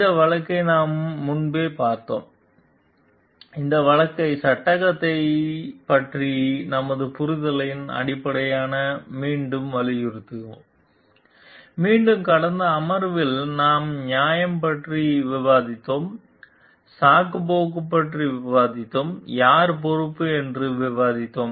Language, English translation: Tamil, We have discussed this case earlier also will re emphasize this case based on our understanding of the dilemma and again in the last session we have discussed about justification, we have discussed about the excuses, we have discussed about who is responsible